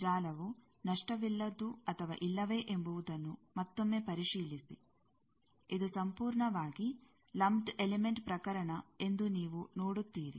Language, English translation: Kannada, Again verify whether the network is lossless or not, that you see this is a purely lumped element case